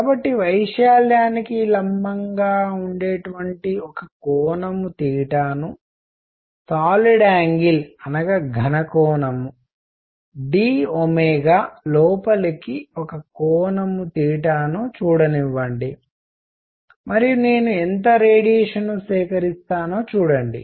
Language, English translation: Telugu, So, let me look at an angle theta for perpendicular to the area, look at an angle theta into solid angle d omega and see how much radiation do I collect